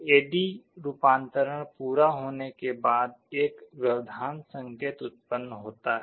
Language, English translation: Hindi, After A/D conversion is completed an interrupt signal is generated